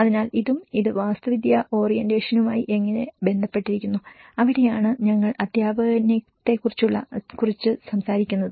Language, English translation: Malayalam, So, this and how it is related to architectural orientation and that is where we talked about the pedagogy and in the pedagogy, we did explain about various tools